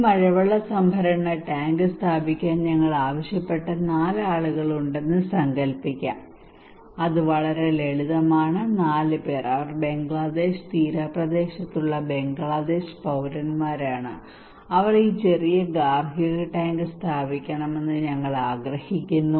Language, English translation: Malayalam, Let us imagine that we have four people whom we asked to install this rainwater harvesting tank okay it is simple, four people they are the citizen of Bangladesh in coastal Bangladesh, and we want them to install this small household tank